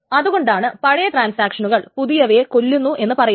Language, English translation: Malayalam, Is that the older transactions kill newer ones